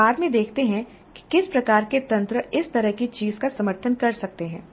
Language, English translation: Hindi, We later see what kind of mechanisms can support this kind of a thing